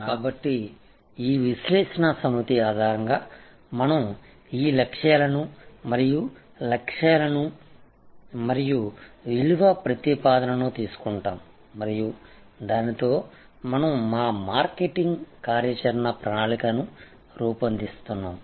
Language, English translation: Telugu, So, based on this set of analysis we derive this objectives and targets and value proposition and then, with that we create our marketing action plan